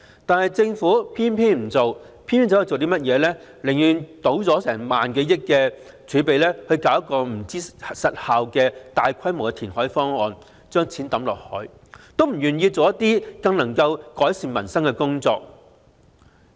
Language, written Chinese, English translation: Cantonese, 但政府偏偏不做，寧願傾盡萬多億元的儲備推行效益成疑的大規模填海方案，"倒錢落海"也不願意做一些更能改善民生的工作。, Yet the Government has chosen not to do so . It would rather go for a large - scale reclamation proposal that is going to exhaust its reserve of some 1 trillion dumping money into the sea with no guaranteed result than do something which will better improve peoples livelihood